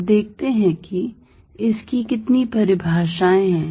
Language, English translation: Hindi, Now, let us see how many definitions are there